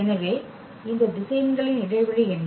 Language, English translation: Tamil, So, what is the span of these vectors